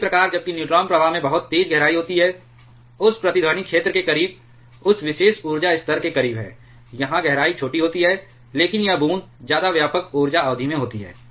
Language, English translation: Hindi, And correspondingly, while the neutron flux has a very sharp deep here, close to the close to that resonance zone, close to that particular energy level, here there deep is smaller, but this drop takes place over much wider energy span